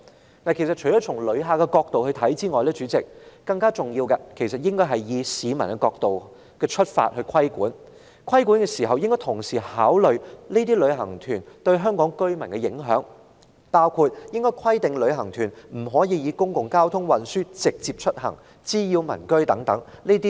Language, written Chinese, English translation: Cantonese, 代理主席，除了從旅客角度看事件外，我們更應以市民的角度出發進行規管，並應考慮旅行團對香港居民的影響，包括規定旅行團不得乘搭公共交通運輸或滋擾民居等。, Deputy President apart from considering the matter from the perspective of visitors we should also conduct regulation from the publics point of view and take into consideration the impact of tour groups on local residents . Regulations imposed should include prohibiting tour groups from travelling in public transport and causing nuisances to nearby residents